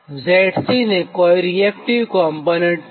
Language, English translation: Gujarati, so the z c has no reactive component